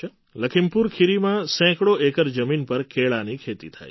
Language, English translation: Gujarati, Banana is cultivated on hundreds of acres of land in Lakhimpur Kheri